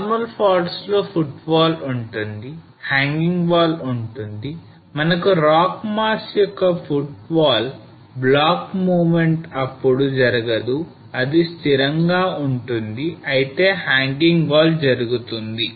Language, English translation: Telugu, So normal faults we have the footwall, we have the hanging wall and the footwall block of the rock mass which does not move during the movement it will remain stationary whereas the hanging wall will move